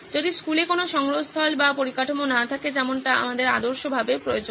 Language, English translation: Bengali, In case school does not have a repository or infrastructure like what we would ideally require